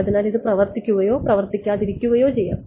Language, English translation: Malayalam, So, it may or may not work